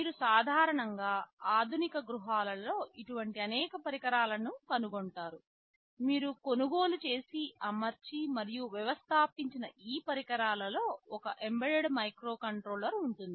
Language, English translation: Telugu, You typically find many such devices in modern day households, whatever equipment you purchase you deploy and install, there will be some embedded microcontroller inside it